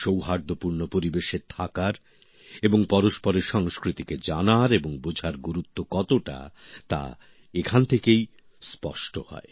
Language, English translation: Bengali, These also show how important it is to live in a harmonious environment and understand each other's culture